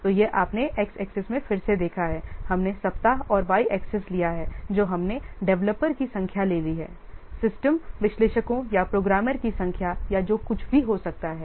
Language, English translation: Hindi, So this you taken, you have seen in the x axis again we have taken the weeks and y axis we have taken the number of what developers, maybe number of system analysts or the programmers or whatever that